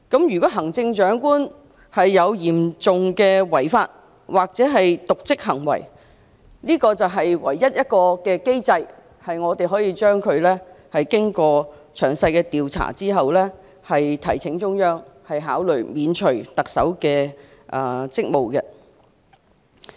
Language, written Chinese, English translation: Cantonese, 如果行政長官有嚴重違法或瀆職行為，這是唯一的機制，可在經過詳細調查之後，提請中央考慮免除特首的職務。, In case of serious breach of law or dereliction of duty committed by the Chief Executive this is the sole mechanism under which we can report to the Central Peoples Government for considering the removal of the Chief Executive after a detailed investigation